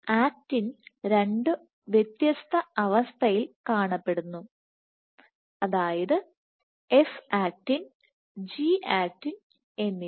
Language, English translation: Malayalam, So, there are 2 pools of actin or actin exists in 2 forms have F actin and G actin